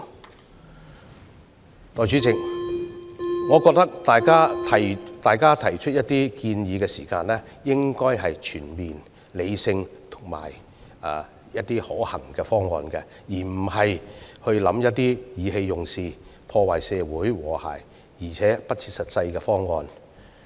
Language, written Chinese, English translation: Cantonese, 代理主席，我認為大家在作出建議時，應提出全面、理性及可行的方案，而非意氣用事、破壞社會和諧且不切實際的方案。, In my view Deputy President in making recommendations Members should put forward comprehensive rational and feasible plans instead of impulsive and unrealistic plans to the detriment of social harmony